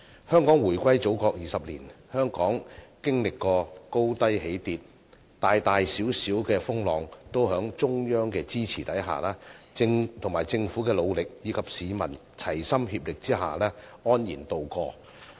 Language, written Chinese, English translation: Cantonese, 香港回歸祖國20年，經歷過高低起跌，大大小小的風浪都在中央的支持、政府的努力，以及市民的齊心協力下安然渡過。, During the 20 years since the reunification with the Motherland Hong Kong has experienced many ups and downs . With the Central Authorities support the Governments diligence and also peoples concerted efforts we have tided over many turbulences of various scales at ease